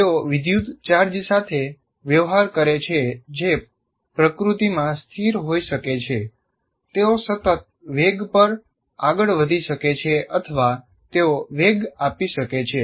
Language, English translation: Gujarati, And electrical charges can be static in nature or they can be moving at a constant velocity or they may be accelerating charges